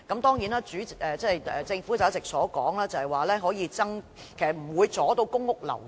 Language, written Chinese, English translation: Cantonese, 當然，按照政府一直以來的說法，這做法不會阻礙公屋流轉。, Of course the Governments claim all along is that this approach will not hinder the turnover of PRH units